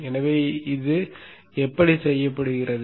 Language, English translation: Tamil, So how is this done